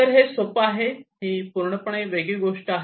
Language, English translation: Marathi, So, easily it’s a completely different story altogether